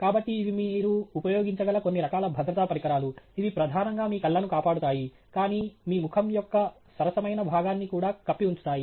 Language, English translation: Telugu, So, these are a few different types of safety equipment that you can use, which would primarily protect your eyes, but would also cover a fair fraction of your face